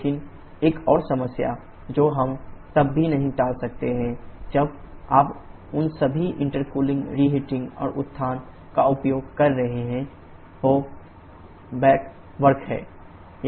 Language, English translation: Hindi, But another problem that we cannot avoid even when you are using all of those intercooling reheating and regeneration, is the back work